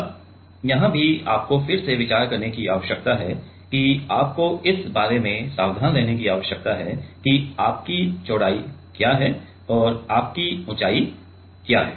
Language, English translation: Hindi, Now, here also again you need to consider you need to be careful about what is your width and what is your height